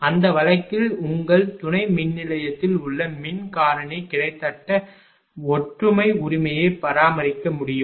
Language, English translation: Tamil, In that case power factor at the your substation can nearly be maintain unity right